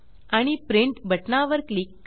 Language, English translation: Marathi, And click on the Print button